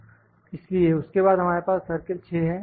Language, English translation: Hindi, So, then we have circle 6